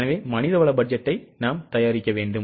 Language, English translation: Tamil, So, we need to prepare manpower budget